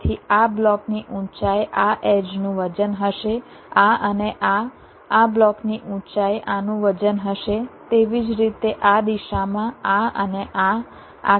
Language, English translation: Gujarati, so the height of this block will be the weight of this edge, this and this, the height of the, this block will be the weight of this